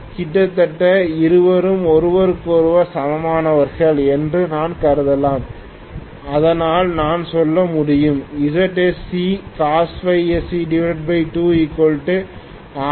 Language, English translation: Tamil, I can assume almost both of them are equal to each other so I can say ZSC cos phi SC divided by 2 is R1